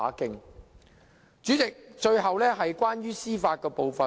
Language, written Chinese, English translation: Cantonese, 代理主席，最後是關於司法部分。, Deputy President the last part of my speech concerns the judicial aspect